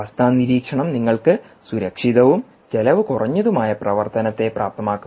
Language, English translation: Malayalam, condition monitoring will enable you safe and very cost effective operation